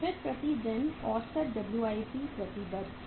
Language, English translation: Hindi, Then is the average WIP committed per day